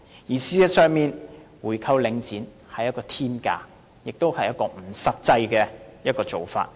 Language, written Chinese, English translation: Cantonese, 事實上，購回領展所需的是天價，也是不實際的做法。, In fact it takes a sky - high price to buy back Link REIT and it is not a practical option either